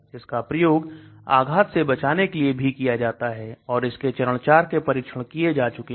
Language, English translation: Hindi, It is also being given now for strokes also and so phase IV clinical trials have been done